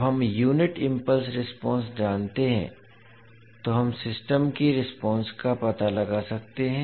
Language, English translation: Hindi, So we can find out the response of the system when we know the unit impulse response